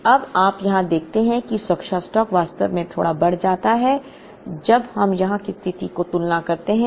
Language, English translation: Hindi, So now, you see here that the safety stock actually increases a little bit when we compare the situation that is here